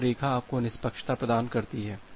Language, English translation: Hindi, So, this line gives you the fairness